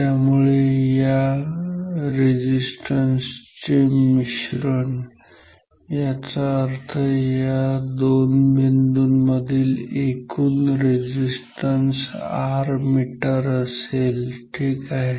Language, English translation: Marathi, So, the total combination of all the resistances so, that means, between these two points here and here is R meter ok